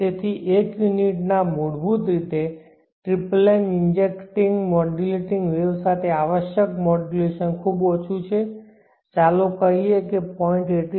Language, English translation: Gujarati, So for fundamental of one unit the modulation required with the tripling injecting modulating wave is much lower let say